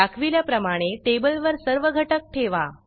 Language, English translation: Marathi, Place all the components on the table, as shown